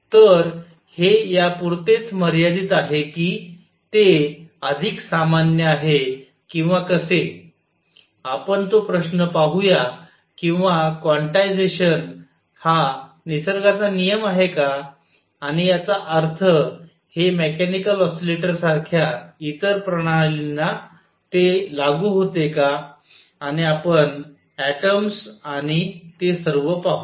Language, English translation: Marathi, So, is it limited to this or is it more general or so, let us see that question or is quantization a law of nature and; that means, does it apply to other systems like mechanical oscillators and we will see atoms and all that